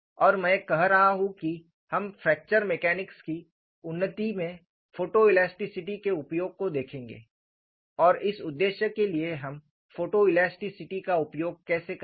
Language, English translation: Hindi, We have seen the stress field, and I have been saying that we would look at use of photo elasticity in the advancement of fracture mechanics, and how we would use photo elasticity for this purpose